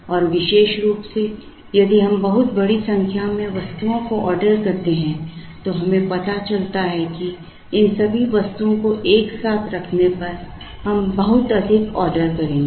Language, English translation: Hindi, And particularly, if we look at a very large number of items then we realize that, we will be making too many orders when all these items are put together